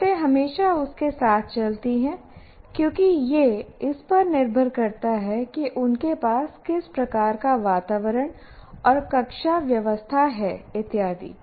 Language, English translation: Hindi, Conditions will always go with that because it depends on the kind of environment that you have, right classroom arrangements that you have and so on